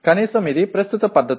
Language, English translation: Telugu, At least that is the current practice